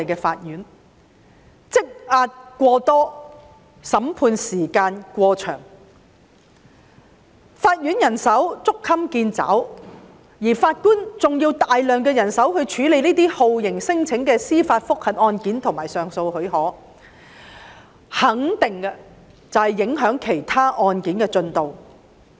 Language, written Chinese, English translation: Cantonese, 當案件積壓過多，審判時間過長，法院人手捉襟見肘，還需要大量人手處理酷刑聲請的司法覆核和上訴許可案件時，我肯定這樣會影響其他案件的進度。, When the caseload is heavy the trial time long the judicial manpower tight and a lot more manpower needed to deal with the JR cases and application for leave to appeal cases on torture claims it will surely affect the processing of other cases